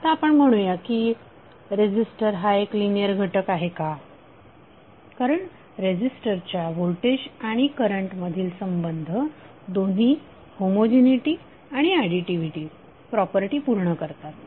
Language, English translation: Marathi, Now we say that a resistor is a linear element why because the voltage and current relationship of the resistor satisfy both the homogeneity and additivity properties